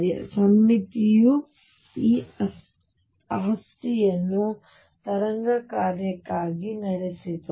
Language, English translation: Kannada, So, symmetry led to this property as wave function